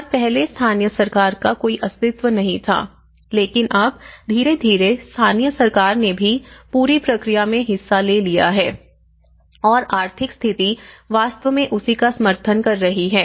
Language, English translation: Hindi, And earlier local government was not playing but now, gradually local government also have taken part of the whole process and the economic status is actually, supporting to that